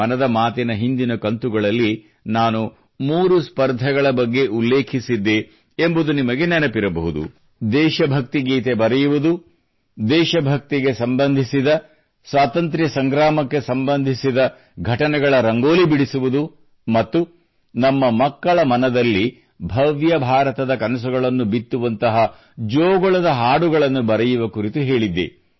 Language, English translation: Kannada, You might be aware…in the last episodes of Mann Ki Baat, I had referred to three competitions one was on writing patriotic songs; one on drawing Rangolis on events connected with patriotic fervor and the Freedom movement and one on scripting lullabies that nurture dreams of a grand India in the minds of our children